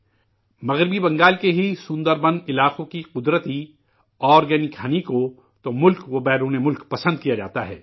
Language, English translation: Urdu, The natural organic honey of the Sunderbans areas of West Bengal is in great demand in our country and the world